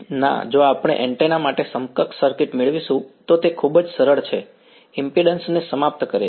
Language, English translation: Gujarati, No if we will get the equivalent circuit for the antenna it is very easy to terminates impedance